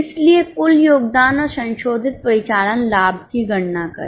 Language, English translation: Hindi, So, compute the total contribution and the revised operating profit